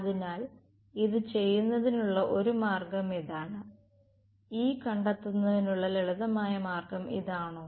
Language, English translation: Malayalam, So, this is one way of doing it, is that a simpler way of doing it of finding E